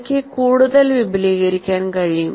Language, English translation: Malayalam, Now I can expand further